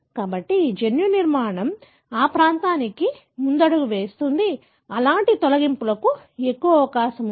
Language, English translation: Telugu, So, that genomic structure predispose that region, more prone to have such deletions